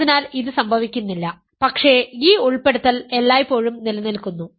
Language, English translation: Malayalam, So, this does not happen, but this inclusion always holds